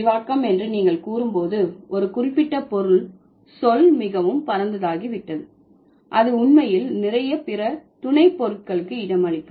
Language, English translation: Tamil, So, when you say broadening, the meaning of a particular word has become so wide that it can actually accommodate a lot of the sub meanings